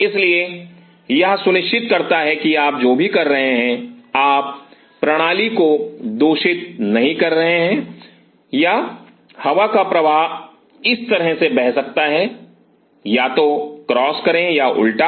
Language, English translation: Hindi, So, it ensures that whatever you are doing you are not contaminating the system or the air current may flow like this